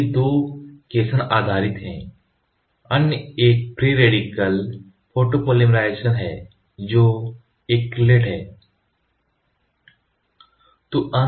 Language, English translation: Hindi, So, these 2 are cation based, the other one is free radical photopolymerization which is acrylate